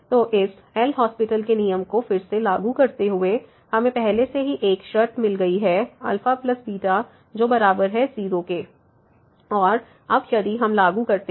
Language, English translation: Hindi, So, applying this L’Hospital’s rule again so, we got already one condition on alpha plus beta which is equal to and now if we apply